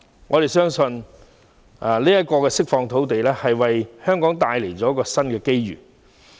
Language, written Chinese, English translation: Cantonese, 我們相信這次釋放土地，將會為香港締造新的機遇。, We believe this arrangement will create new opportunities for Hong Kong